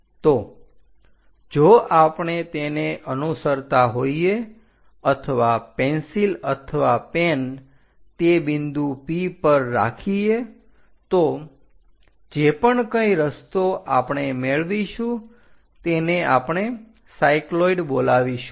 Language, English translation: Gujarati, So, if we are tracking or keeping a pencil or pen on that point P whatever the track we are going to get that is what we call cycloid